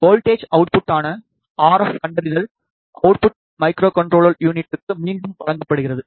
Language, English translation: Tamil, The RF detector output which is the voltage output is given back to the microcontroller unit